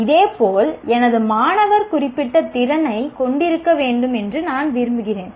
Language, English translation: Tamil, Similarly, I want my student to have certain capability